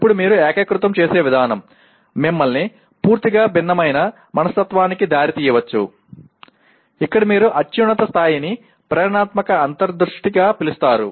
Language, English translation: Telugu, Now the way you integrate may lead you to a completely different mindset, here what you are calling the highest level as inspirational insight